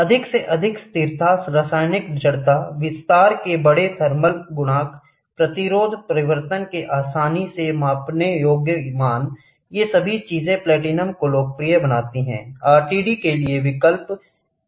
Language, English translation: Hindi, The greater stability, chemical inertness, the large thermal coefficient of expansion, readily measurable values of resistance change, all these things make platinum you have a popular choice for RTD; What is RTD